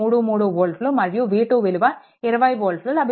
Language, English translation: Telugu, 3 3 volt and v 2 is equal to volt, right